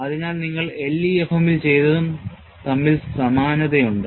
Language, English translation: Malayalam, So, there is similarity between what you have done in LEFM